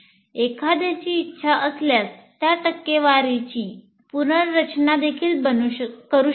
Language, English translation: Marathi, If one wants, you can also rearrange the percentages as you wish